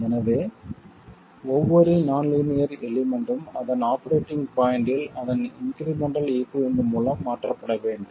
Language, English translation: Tamil, So every nonlinear element has to be replaced by its incremental equivalent at its operating point